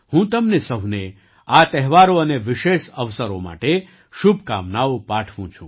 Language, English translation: Gujarati, I wish you all the best for these festivals and special occasions